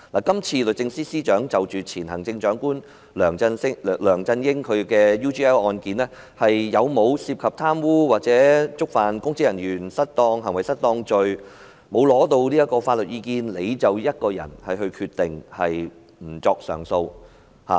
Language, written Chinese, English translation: Cantonese, 今次，律政司司長就前行政長官梁振英在 UGL 案件中有否涉及貪污或觸犯公職人員行為失當罪一事，她沒有尋求外間的法律意見，便自己一人決定不作上訴。, This time while the Secretary for Justice did not seek legal advice from outside on the case of alleged corruption andor alleged misconduct in public office of former Chief Executive Mr LEUNG Chun - ying she decided on her own that she would not institute prosecution proceedings against him